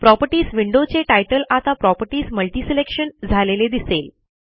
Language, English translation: Marathi, Now, the Properties window title reads as Properties MultiSelection